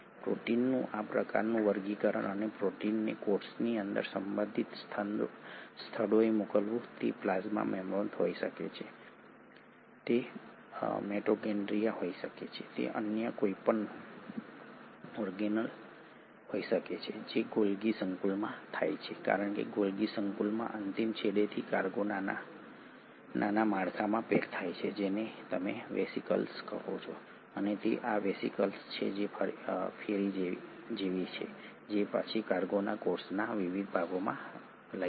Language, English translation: Gujarati, That kind of sorting of proteins and sending the proteins to the respective destinations within a cell, it can be a plasma membrane, it can be a mitochondria, it can be any other organelle, that happens at the Golgi complex because from the terminal ends of Golgi complex the cargo gets packaged into small structures which is what you call as the vesicles, and it is these vesicles which are like the ferries which will then ferry the cargo to various parts of the cell